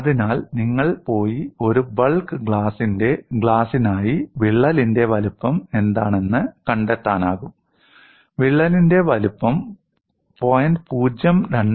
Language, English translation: Malayalam, So, you can go and find out for a bulk glass what would be the size of the crack; the size of the crack is of the order of 0